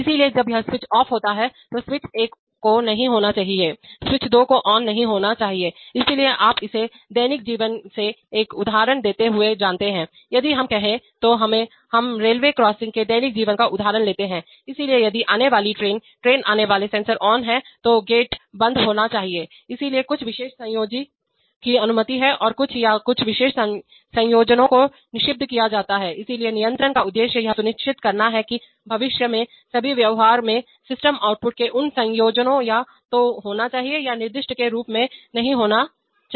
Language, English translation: Hindi, So when this switch one is off, switch one should not, switch two should not be on, so you know giving a given example from it from daily life, if let us say, let us take a daily life example of a railway crossing, so if the incoming train, train coming sensor is on, then the gate should be off, so some particular combinations are allowed and some or, some particular combinations could be prohibited, so the purpose of control is to ensure that in all future behavior of the system those combinations of outputs either must occur or cannot occur as is specified